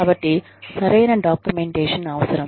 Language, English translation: Telugu, So, proper documentation is required